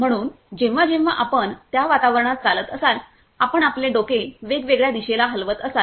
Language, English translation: Marathi, So, whenever you are walking in that environment whenever you are moving your head in different directions